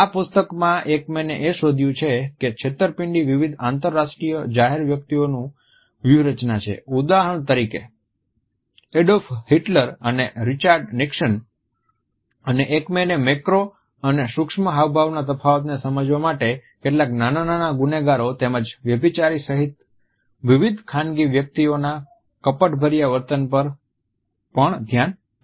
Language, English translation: Gujarati, In this book Ekman has traced the deception is strategies of various international public figures for example Adolf Hitler and Richard Nixon and he has also looked at the deceitful behavior of various private individuals including certain petty criminals as well as adulterers to understand the difference in macro and micro expressions